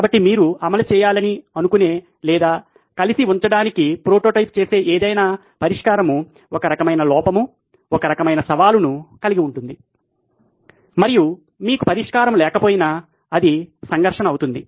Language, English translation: Telugu, So any solution that you think of implement or even are prototyping to put together will have some kind of flaw, some kind of challenge and that is the conflict even if you don’t have a solution